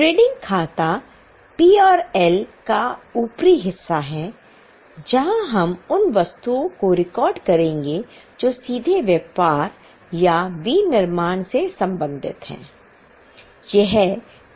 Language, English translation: Hindi, The trading account is the upper part of PNM where we will record those items which are directly related to trading or manufacturing